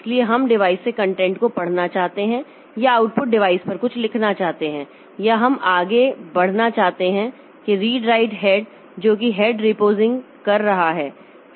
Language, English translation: Hindi, So, you want to read the content from the device or write or something onto the output device or we want to advance that the read write head, okay, that repositioning the head